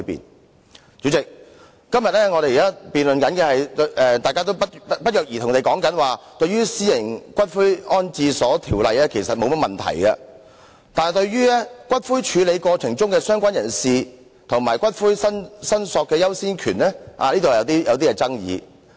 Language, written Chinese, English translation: Cantonese, 代理主席，在今天的辯論中，大家不約而同地表示對《私營骨灰安置所條例草案》其實沒有異議，但對於骨灰處理過程中的"相關人士"和骨灰申索的優先權方面有所爭議。, Deputy Chairman in todays debate Members have all raised no objection to the Private Columbaria Bill the Bill itself but rather argued on the definition of related person and the priority of claim in the procedures of handling ashes